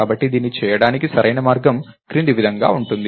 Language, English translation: Telugu, So, the correct way to do that is as follows